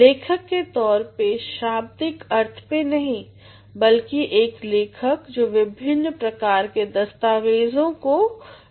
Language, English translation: Hindi, As a writer not in the true sense of the term writer, but as a writer of different documents